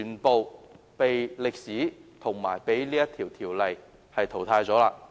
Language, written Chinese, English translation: Cantonese, 被歷史及《條例》淘汰了。, They have been eliminated by history and CMO